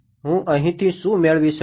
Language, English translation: Gujarati, What do I get from here